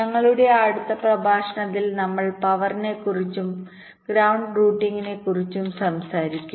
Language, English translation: Malayalam, in our next lecture we shall be talking about power and ground routing